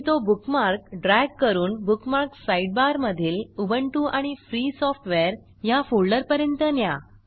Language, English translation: Marathi, The bookmark is moved to the Ubuntu and Free Software folder